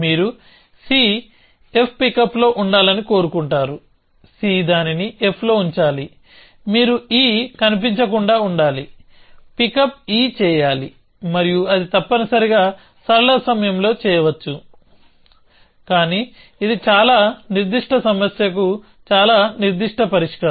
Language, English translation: Telugu, So, you want c to be on f pickup c put it on f, you want e to be unseen, pickup e and that can be done in linear time essentially, but that is a very specific solution to a very specific problem